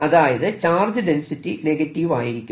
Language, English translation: Malayalam, charge density must be negative